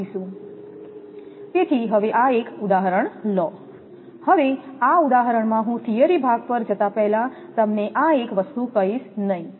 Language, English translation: Gujarati, So, now, one example; this example, when I will give you before going to theory part that one thing I will not tell you